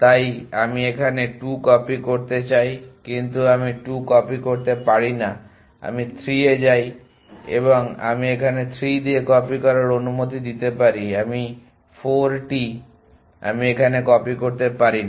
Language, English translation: Bengali, So, I want to copy 2 here, but I cannot copy 2 I go to 3 and I can am allow to copy with 3 here than 4 I cannot copy here